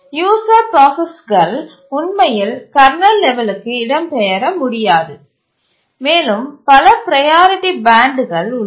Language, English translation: Tamil, The user processes cannot really migrate to kernel level and there are several other bands of priority